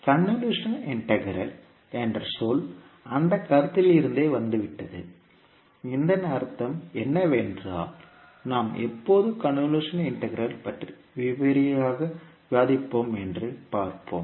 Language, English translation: Tamil, So the term convolution integral has come from that particular concept and what does it mean we will see when we will discuss the convolution integral in detail